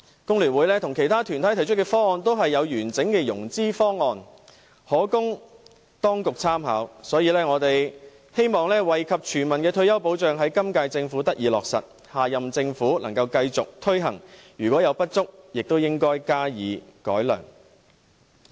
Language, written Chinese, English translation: Cantonese, 工聯會和其他團體提出的方案均有完整的融資方案，可供當局參考，我們希望惠及全民的退休保障在今屆政府得以落實，下任政府能夠繼續推行，如有不足，亦應該加以改良。, The proposals of FTU and other organizations have put forth comprehensive financing options for the authorities reference . We hope that the current Government can implement a retirement protection scheme beneficial to all and that the next Government can continue to implement such a scheme and should improve it in case of inadequacies